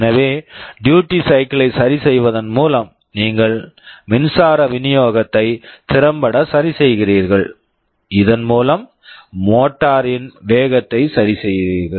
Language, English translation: Tamil, So, by adjusting the duty cycle you are effectively adjusting the power supply, thereby adjusting the speed of the motor